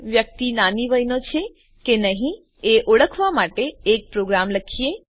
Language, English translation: Gujarati, We will write a program to identify whether a person is Minor